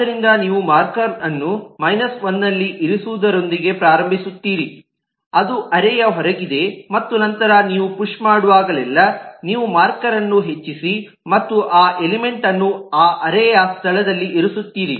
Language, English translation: Kannada, so what you simply do: you start with a marker being placed at minus 1, which is outside of the array, and then every time you push, you increment the marker and put the element in that array location